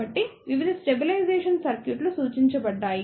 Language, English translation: Telugu, So, that is why various stabilization circuits have been suggested